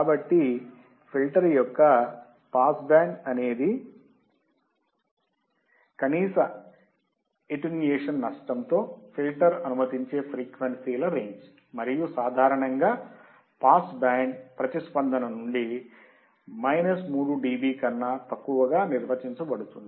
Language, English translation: Telugu, So, pass band of a filter is the range of frequencies that are allowed to pass the filter with minimum attenuation loss and usually it is defined there less than minus 3 dB from the pass band response